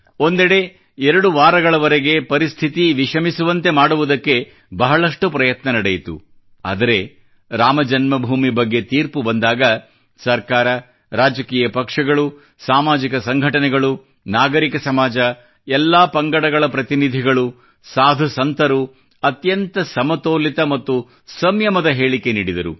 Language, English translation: Kannada, On the one hand, the machinations went on to generate tension for week or two, but, when the decision was taken on Ram Janmabhoomi, the government, political parties, social organizations, civil society, representatives of all sects and saints gave restrained and balanced statements